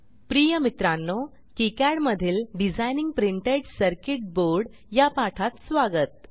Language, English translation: Marathi, Dear Friends, Welcome to the spoken tutorial on Designing printed circuit board in KiCad